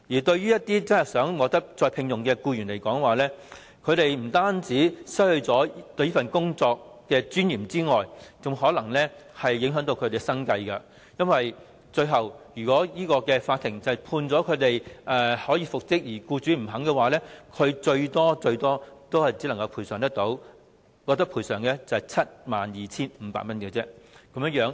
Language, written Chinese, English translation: Cantonese, 對一些希望再次獲得聘用的僱員來說，解僱不但令他們失去工作的尊嚴，甚至會影響生計，因為到最後，如果法庭裁定他們能夠復職，但僱主不同意，他們最多只獲賠償 72,500 元。, For those employees who want to be reinstated dismissal not only deprives them of the dignity of work but also affects their livelihood . If the court rules that they are entitled to reinstatement but the employer disagrees they can at most obtain compensation of not more than 72,500